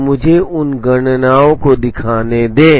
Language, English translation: Hindi, So, let me show those calculations